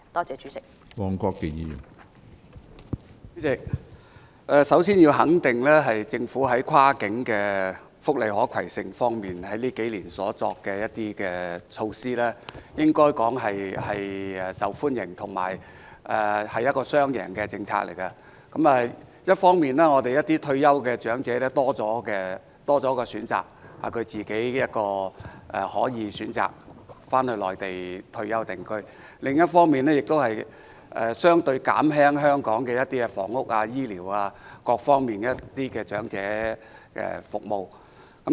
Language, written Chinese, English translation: Cantonese, 主席，首先，我要肯定政府這幾年在福利跨境可攜性方面所作的措施，可說是受到市民歡迎，而這亦是"雙贏"的政策，一方面，退休長者有更多選擇，可選擇於退休後返回內地定居；另一方面，亦可減輕香港房屋、醫療及各方面的長者服務需求。, President first of all I approve of the measures taken by the Government in respect of cross - boundary portability of welfare benefits over these few years as such measures are welcomed by members of the public . This is a win - win policy . On the one hand having more options retired elderly people may choose to settle on the Mainland after retirement; on the other hand the demand for elderly services in housing health care and various other aspects in Hong Kong can be alleviated